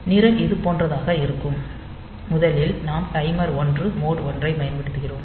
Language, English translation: Tamil, So, the program will be something like this, first we are using this timer 1 mode 1